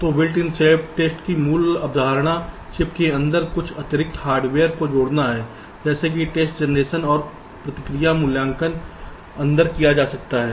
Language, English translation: Hindi, so the basic concept behind built in self test is to add some additional hardware inside the chip such that test generation and response evaluation can be done inside